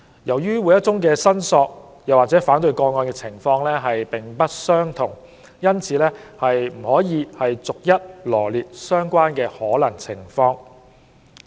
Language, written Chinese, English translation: Cantonese, 由於每宗申索或反對個案的情況並不相同，因此不可能逐一羅列相關的可能情況。, As the circumstances of each objection or claim are different it is not practicable to list all possibilities